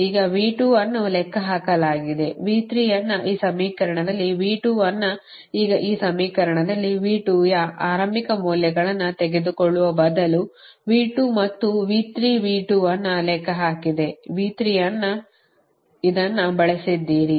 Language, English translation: Kannada, now in this equation, in this equation, v two, instead of taking initial values of v two and v three, v two have computed, v three have computed both